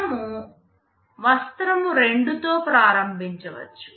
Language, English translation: Telugu, W can start with cloth 2